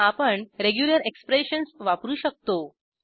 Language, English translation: Marathi, Regular expressions can be used